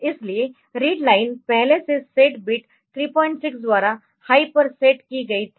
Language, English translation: Hindi, So, read line was previously set to here it was set to high by set bit 3